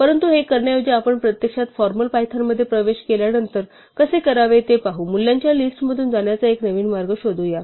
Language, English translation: Marathi, But instead of doing this which we will see how to do later on when we actually get into formal Python, let us explore a new way of going through a list of values